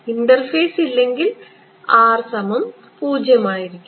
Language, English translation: Malayalam, If there is no interface then R should be equal to 0